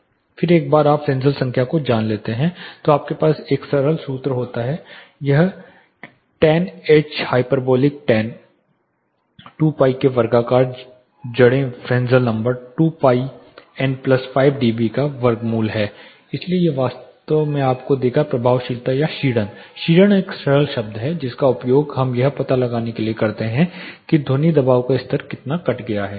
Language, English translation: Hindi, Then once you know the Fresnel number you have this simple formula this is tan h hyperbolic tan square root of 2 pi Fresnel number by tan hyperbolic square root of 2 pi n plus 5 dB, so this will actually give you the effectiveness or the attenuation caused by attenuation is a simple term which we use to find out how much the sound pressure levels are cut